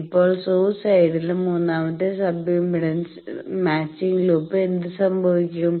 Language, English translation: Malayalam, Now, nothing special about it what happens to the third sub impedance matching loop the source side there